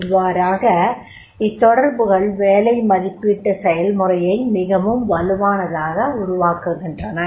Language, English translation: Tamil, So, these connect, this particular connect that will create the job evaluation process in a very strong way